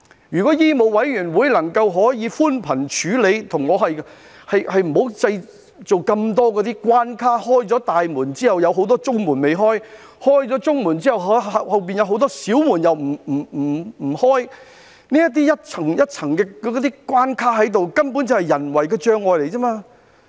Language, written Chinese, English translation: Cantonese, 如果醫委會能夠寬鬆處理，不要設立那麼多關卡，在打開大門之後，仍保留很多中門未開，在打開中門之後，後面又有很多小門還未打開，這些一層一層的關卡，根本只是人為障礙。, If MCHK can be more lenient in handling this matter and do not put up so many barriers―there are many doors remain in the middle although the main door has been opened and there are still many small doors behind after opening the middle doors . These layers and layers of barriers are merely man - made obstacles